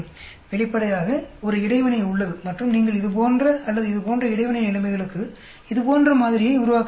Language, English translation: Tamil, Obviously, there is an interaction and you may have to develop model like this for interacting situations like for this or for this